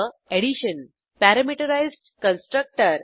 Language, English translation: Marathi, Addition Parameterized Constructor